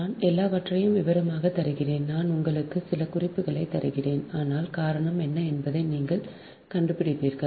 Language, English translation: Tamil, right, i give everything in details and i will give you some hint, but you find out what will the reason